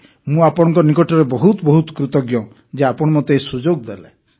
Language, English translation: Odia, I am very grateful to you for giving me this opportunity